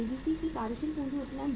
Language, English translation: Hindi, Working capital leverage of ABC